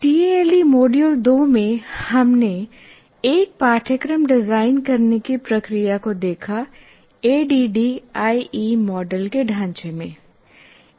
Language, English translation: Hindi, In tale two, we looked at the process of designing a course in the framework of ADI model